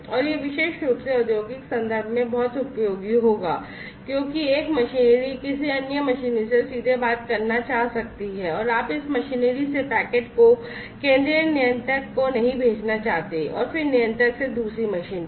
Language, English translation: Hindi, And this will be very much useful particularly in the industrial context, because the one machinery might want to talk directly to another machinery and you do not want to you know send the packets from this machinery to the central controller and then from the controller to the other machine